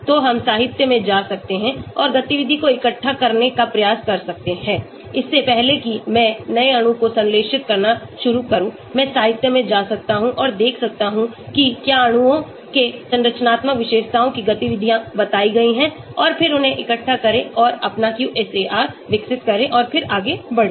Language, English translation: Hindi, So we can go to literature and try to collect activity so before I start synthesizing new molecule I may go and look into the literature and see whether activities have been reported for molecules of similar structural features and then collect them and develop your QSAR and then proceed further